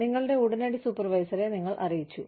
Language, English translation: Malayalam, You have let your immediate supervisor, know